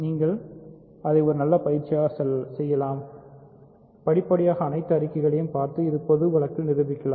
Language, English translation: Tamil, So, you can do this as a good exercise, you can step by step check all the statements and prove it in this general case